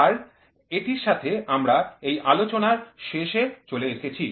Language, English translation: Bengali, So, with this we will come to an end of this lecture